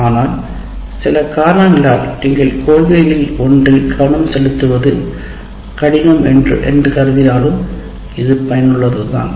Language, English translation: Tamil, But if for some reason you find it difficult to pay attention to one of the principles, still it is worthwhile